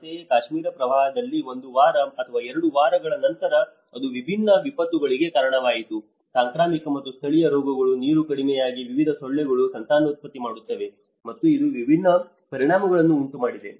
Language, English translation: Kannada, Similarly, in Kashmir floods where after one week or two weeks then it has resulted a different set of disaster, the epidemic and endemic diseases because the water have went down and different mosquitos have breed, and it has resulted different set of impacts